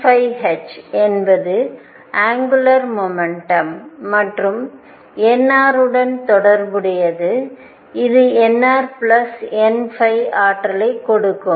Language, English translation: Tamil, n phi h is related to the angular momentum and n r such that n r plus n phi give the energy